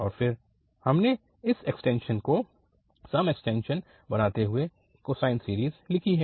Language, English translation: Hindi, And then, we have written this cosine series making this extension as the even extension